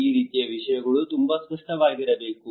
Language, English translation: Kannada, This kind of things should be very clear